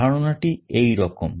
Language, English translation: Bengali, The idea is like this